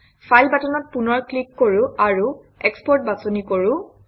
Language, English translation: Assamese, Let us click the file button once again and choose export